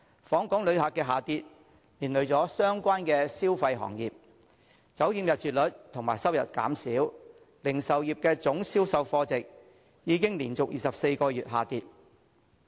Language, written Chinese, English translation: Cantonese, 訪港旅客量下跌，連累相關的消費行業，酒店入住率及收入減少，零售業總銷售貨值已經連續24個月下跌。, The decline in visitor arrivals to Hong Kong has affected the related consumer industries . The room occupancy rate and revenue of hotels dropped and the value of total retail sales continued to fall for 24 consecutive months